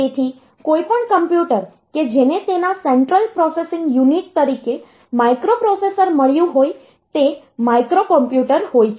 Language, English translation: Gujarati, So, any computer that has got a microprocessor as its central processing unit is a microcomputer